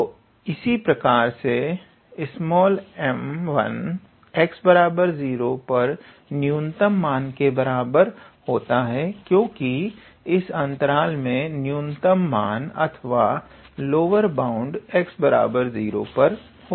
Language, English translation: Hindi, So, we can write similarly small m 1 equals to the infimum of the value at x equals to 0, because in this interval the infimum or the lower bound is attained at x equals to 0